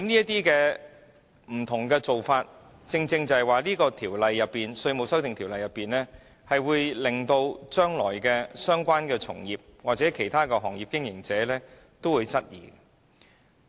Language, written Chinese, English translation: Cantonese, 這些不同做法亦令《條例草案》的相關條文，成為將來被相關從業者或其他行業經營者質疑的目標。, All these will also render the relevant provisions in the Bill questionable to trade practitioners concerned or business operators in other trades and industries